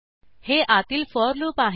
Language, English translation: Marathi, This is the outer for loop